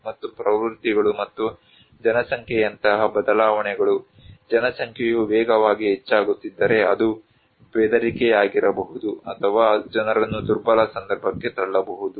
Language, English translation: Kannada, And trends and changes like the population, if the population is increasing rapidly, then also it could be a threat or putting people into vulnerable context